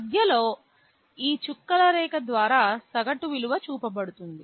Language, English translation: Telugu, The average value is shown by this dotted line in between